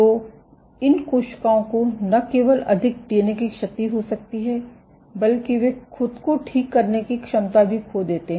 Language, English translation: Hindi, So, these cells can not only will have more amount of DNA damage, but they lose the ability to restive themselves ok